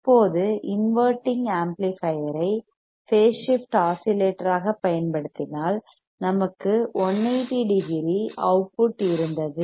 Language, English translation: Tamil, Now, if we use inverting amplifier as phase shift oscillator we had 180 degree output